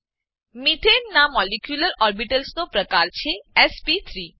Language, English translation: Gujarati, Methane has molecular orbitals of the type sp3